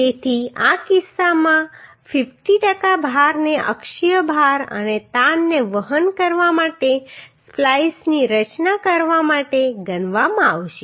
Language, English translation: Gujarati, So in this case the 50 per cent load will be considered to design the splice to carry axial load and tension